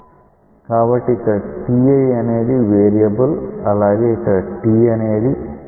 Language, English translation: Telugu, So, here t i is a variable whereas, here t is a variable